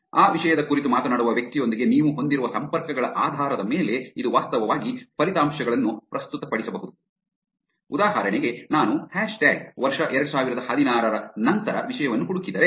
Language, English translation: Kannada, It can actually present the results depending on the connections that you have with the person who is talking about that topic like, for example, if I search for a topic like hash tag year 2016